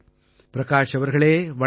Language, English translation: Tamil, Prakash ji Namaskar